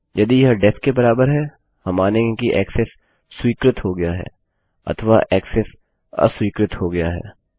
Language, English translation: Hindi, If this equals def, were going to say Access granted else Access denied